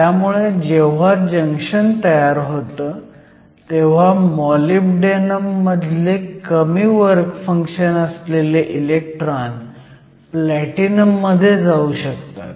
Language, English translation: Marathi, So, when a junction is formed electrons from molybdenum with the lower work function can move into platinum